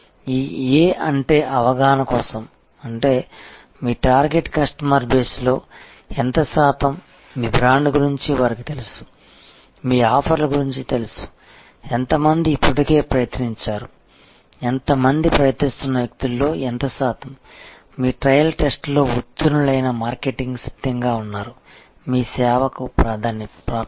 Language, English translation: Telugu, This A stands for aware; that means, what percentage of your target customer base, they aware of your brand, aware of your offerings, how many of have actually already tried, how many what percentage of the tried people, who have gone through your trial test, marketing have ready access to your service